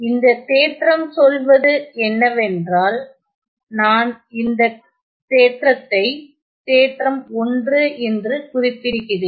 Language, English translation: Tamil, So, the theorem says, I am going to denote this theorem by theorem 1